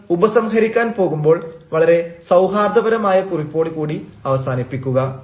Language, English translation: Malayalam, and while you are going to conclude, conclude on a very cordial note